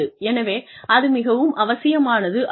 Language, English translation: Tamil, So, that is very essential